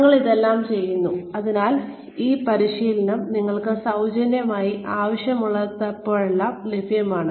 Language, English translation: Malayalam, We are doing all this, so that, this training is available to you, free of cost, whenever you wanted